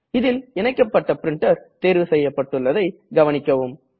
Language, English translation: Tamil, Notice that the connected printer is selected by default